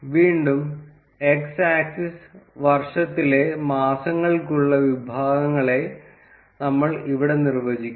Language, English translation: Malayalam, Again, here we would be defining the categories for x axis to be the months of the year